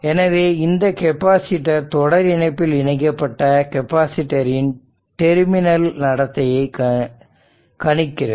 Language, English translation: Tamil, So, because this capacitor predicts the terminal behavior of the original series connected capacitor